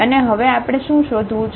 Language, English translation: Gujarati, And what we want to now find